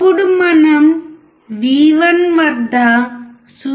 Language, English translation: Telugu, Now let us apply 0